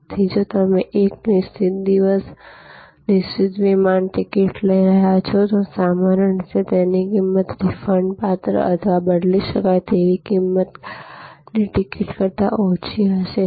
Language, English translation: Gujarati, So, if you are taking a fixed day, fixed flight ticket, usually the price will be lower than a ticket which is refundable or changeable